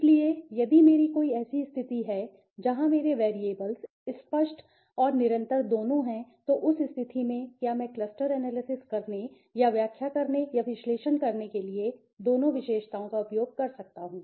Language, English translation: Hindi, So, if I have a condition where my variables are both categorical and continuous, then in that case, Can I use both the attributes for analyzing or interpreting or making a cluster analysis